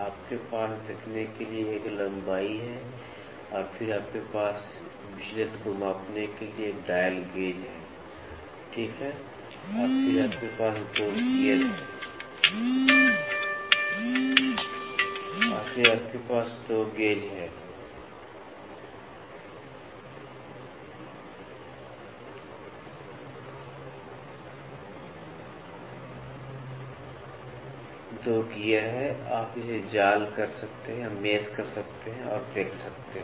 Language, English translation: Hindi, You have a length to view and then you have you a you have dial gauges to measure the deviations, right and then 2 gears you have so, you can mesh it and see